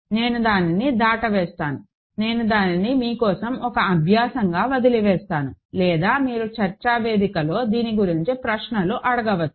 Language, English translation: Telugu, So, I will skip that, I will leave that as an exercise for you or you can ask questions about this in the discussion forum